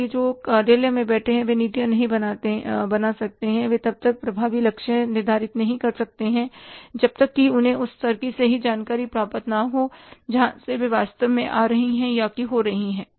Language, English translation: Hindi, So, people sitting in the office, they cannot make the policies, they cannot set the effective targets until unless they get the rightful information from the level where it is going to actually come up or take place